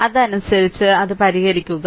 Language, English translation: Malayalam, So, accordingly you please solve it